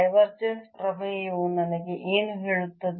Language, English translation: Kannada, what does the divergence theorem tell me